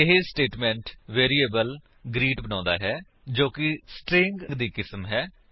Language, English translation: Punjabi, This statement creates a variable greet that is of the type String